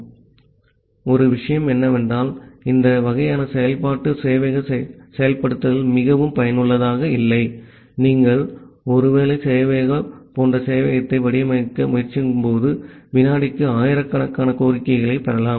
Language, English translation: Tamil, So, one thing is that this kind of iterative server implementation is not very useful, when you are trying to design a server like a web server while you can get thousands of request per second